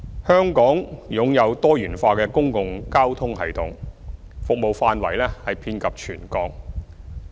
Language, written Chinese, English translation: Cantonese, 香港擁有多元化的公共交通系統，服務範圍遍及全港。, Hong Kong has a diversified public transport system with service coverage throughout the territory